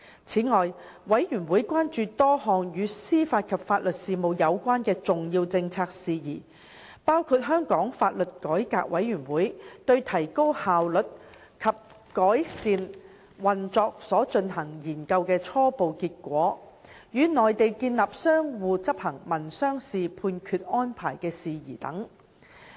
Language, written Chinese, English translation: Cantonese, 此外，事務委員會關注多項與司法及法律事務有關的重要政策事宜，包括香港法律改革委員會對提高效率及改善運作所進行研究的初步結果、與內地建立相互執行民商事判決安排的事宜等。, Moreover the Panel was concerned about a number of major policy issues relating to the administration of justice and legal services including the preliminary outcome of the study conducted by the Law Reform Commission to consider various options to enhance its efficiency and operation the establishment of a framework for an reciprocal recognition and enforcement of judgments arrangement with the Mainland to cover civil and commercial judgments